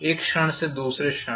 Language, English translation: Hindi, From instant to instant